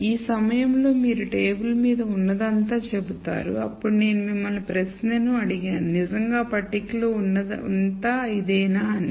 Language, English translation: Telugu, So, this at this point you will say this is all that is on the table then I asked you the question is that all really that is there on the table